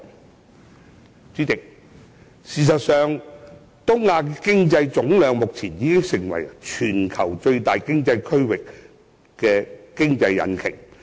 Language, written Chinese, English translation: Cantonese, 代理主席，事實上，目前東亞的經濟總量已成為全球最大的經濟區域和經濟引擎。, Deputy President East Asia has indeed become the worlds largest economic region and economic engine in terms of aggregate output